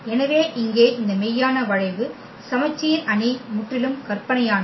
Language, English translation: Tamil, So, here this real a skew symmetric matrix are purely imaginary